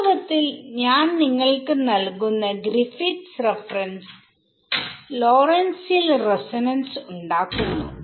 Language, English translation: Malayalam, So, in fact, the Griffiths reference which I give you derives a Lorentzian resonance